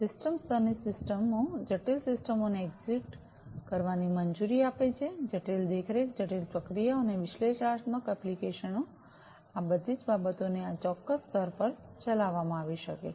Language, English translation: Gujarati, System of systems layer allows complex systems to be executed, complex monitoring, complex processing, and analytic applications, all of these things could be executed at this particular layer